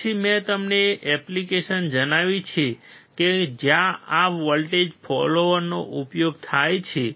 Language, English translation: Gujarati, Then I have told you the application where exactly this voltage follower is used